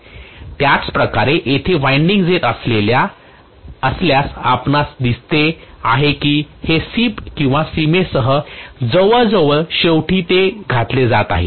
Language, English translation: Marathi, So similarly, if there is a winding coming along here you can see this is also coming along the cusp almost at the end it is being inserted